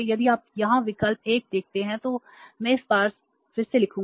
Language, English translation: Hindi, If you see here option 1 we will go for the option 1 here